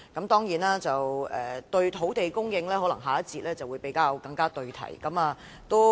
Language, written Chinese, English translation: Cantonese, 當然，關於土地供應，可能下一環節會更為對題。, Certainly matters relating to land supply may be more relevant to the topic in the next session